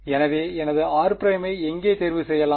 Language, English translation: Tamil, So, where can I choose my r prime